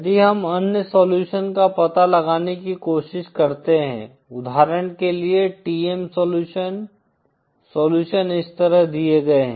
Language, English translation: Hindi, If we try to find out the other solutions, for example the TM solutions, the solutions are given like this